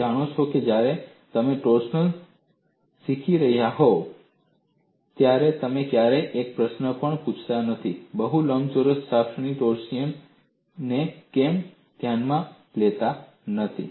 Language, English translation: Gujarati, You never even asked a question, when you were learning torsion, why I am not considering torsion of a rectangular shaft